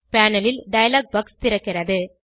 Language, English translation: Tamil, A dialog box opens on the panel